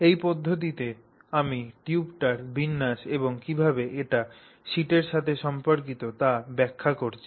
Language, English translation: Bengali, So, this is the manner in which I am explaining the arrangement of the tube and how it relates to the sheet